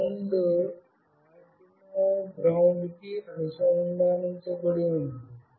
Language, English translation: Telugu, This ground is connected to the ground of Arduino